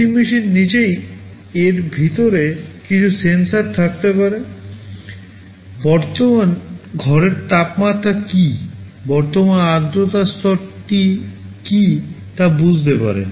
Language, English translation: Bengali, The ac machine itself can have some sensors inside it, can sense what is the current room temperature, what is the current humidity level